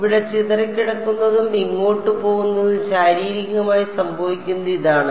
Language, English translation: Malayalam, Getting scattered over here going through over here and then going off over here this is physically what is happening